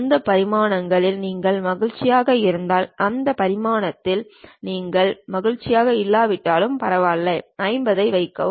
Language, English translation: Tamil, If you are happy with that dimensions, it is ok if you are not happy with that dimension just put 50